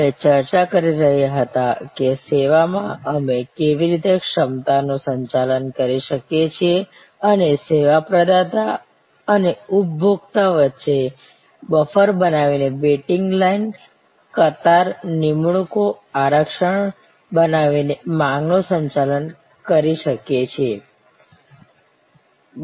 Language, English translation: Gujarati, We were discussing about, how in service we can manage capacity and manage demand by creating buffers between the service provider and the service consumer by creating waiting lines, queues, appointments, reservations